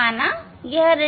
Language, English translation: Hindi, that we will note down say this is d 1